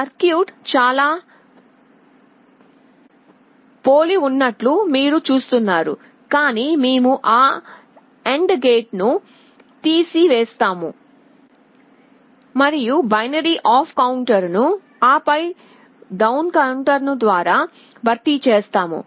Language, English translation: Telugu, You see the circuit looks quite similar, but we have remove that AND gate, and we have replaced the binary up counter by an up/down counter